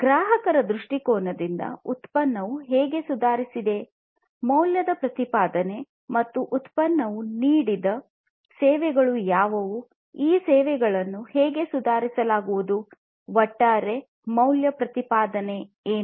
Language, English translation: Kannada, From a customer viewpoint, how the product has improved, what is the value proposition and the services that the product offers; how these services are going to be improved, what is the overall value proposition